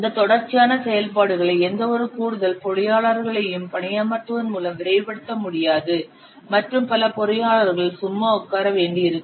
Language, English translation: Tamil, These sequential activities cannot be speeded up by hiring any number of additional engineers and many of the engineers they will have to see the ideal